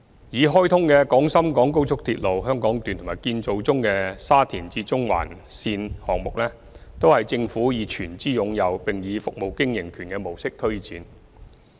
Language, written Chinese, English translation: Cantonese, 已開通的廣深港高速鐵路香港段和建造中的沙中線項目，均由政府全資擁有並以服務經營權模式推展。, The commissioned Hong Kong Section of the Guangzhou - Shenzhen - Hong Kong Express Rail Link XRL and the SCL project under construction are both government - owned and implemented under the concession approach